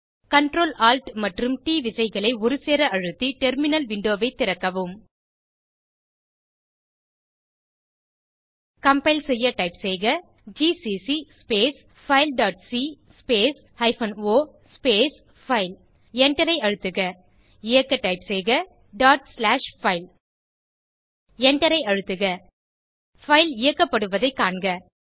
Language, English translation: Tamil, Open the terminal window by pressing Ctrl, Alt and T keys simultaneously on your keyboard To compile, type gcc space file dot c space hyphen o space file Press Enter To execute, type dot slashfile (./file) Press Enter We see the file is executed